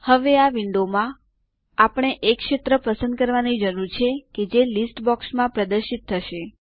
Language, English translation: Gujarati, Now, in this window, we need to choose the field that will be displayed in the List box